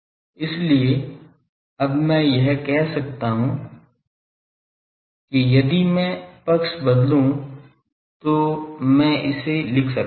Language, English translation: Hindi, So, here I can now put this that if I just change sides I can write it as